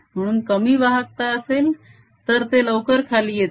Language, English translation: Marathi, so a smaller the conductivity, faster it goes